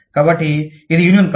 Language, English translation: Telugu, So, this is not a union